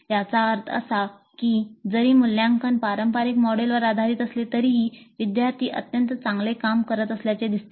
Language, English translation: Marathi, That means even if the assessment is based on the traditional model, the students seem to be doing extremely well